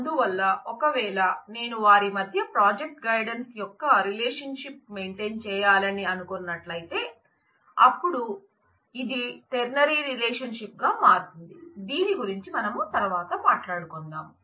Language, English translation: Telugu, So, if I want to maintain a relationship of say project guidance between them then that turns out to be a ternary relationship we will talk about this more later